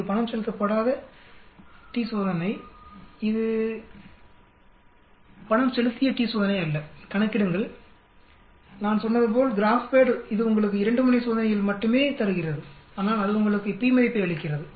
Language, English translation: Tamil, It is an unpaid t test it is not a paid t test calculate now so obviously as I said GraphPad I gives you in only a 2 tail test but it is giving you p value